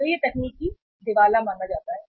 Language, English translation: Hindi, So that is considered as a technical insolvency